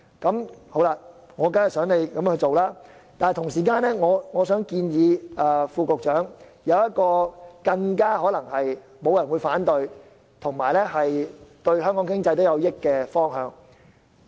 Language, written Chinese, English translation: Cantonese, 我當然希望政府這樣做，但同時我想建議副局長採納一項沒人反對且對香港經濟有益的措施。, I certainly hope that the Government will do so but at the same time I would like to advise the Under Secretary to adopt a measure which no one opposes and which will benefit the Hong Kong economy